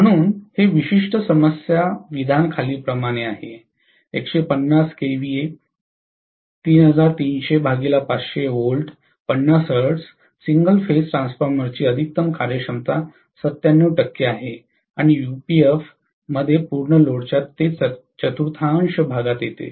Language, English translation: Marathi, So, this particular problem statement goes as follows: the maximum efficiency of a 150 kVA 3300 by 500 volts, 50 hertz single phase transformer is 97 percent and occurs at three fourth of full load at unity power factor